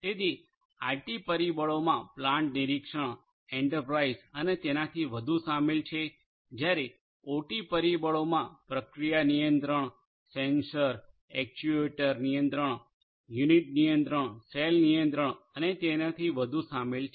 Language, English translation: Gujarati, So, IT factors include plant supervision, enterprise and so on whereas, the OT factors include process control, sensor actuator control, unit control, call control and so on